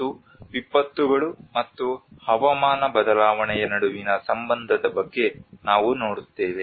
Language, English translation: Kannada, And we see about the relationship between disasters and climate change